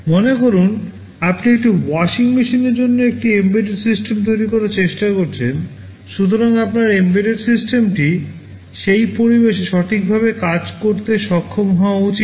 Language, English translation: Bengali, Suppose, you are trying to build an embedded system for a washing machine, so your embedded system should be able to function properly in that environment